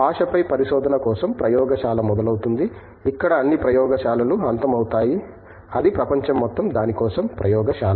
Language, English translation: Telugu, The laboratory for research on language begins where all laboratories end that is the whole world is laboratory for that